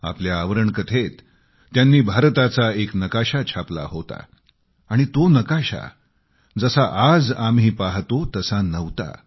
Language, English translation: Marathi, In their lead story, they had depicted a map of India; it was nowhere close to what the map looks like now